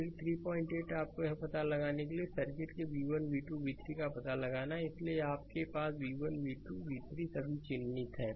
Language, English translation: Hindi, 8 you have to find out v 1, v 2, v 3 of the circuit shown in figure this, so you have v 1, v 2, v 3 all marked